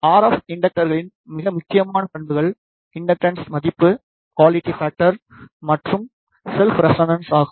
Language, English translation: Tamil, The most important properties of the RF inductors are the inductance value the quality factor, and it is self resonance